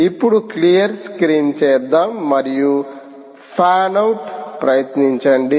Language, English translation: Telugu, now lets do clear screen and lets try fan out